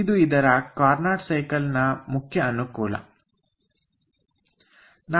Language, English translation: Kannada, so this is the main advantage of carnot cycle